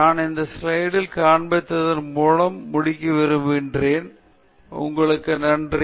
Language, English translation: Tamil, And so, I would like to finish by just showing you this slide, which is thank you; thank you for paying attention